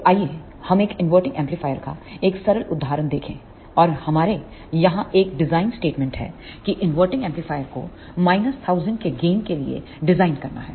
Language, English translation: Hindi, So, let us see a simple example of an inverting amplifier and we have a design statement here, that design an inverting amplifier for a gain of minus 1000